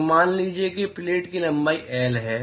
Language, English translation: Hindi, So, suppose if the length of the plate is L